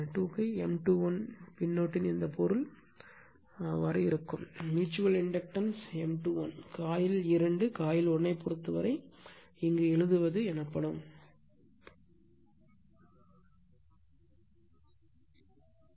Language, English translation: Tamil, This meaning of the suffix 2 1 is like that, the mutual inductance M 2 1 whatever writing here with respect to your what you call of coil 2 with respect to coil 1 right